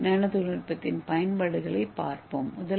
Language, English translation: Tamil, So let us see the applications of DNA nanotechnology